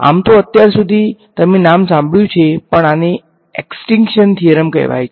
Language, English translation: Gujarati, So, far or even heard the name of, but this is called the extinction theorem ok